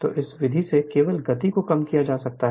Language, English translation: Hindi, So, by this method only speed can be decrease right